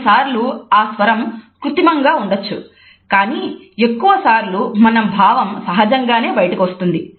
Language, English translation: Telugu, Sometimes it can be artificial, but most of the times it comes out naturally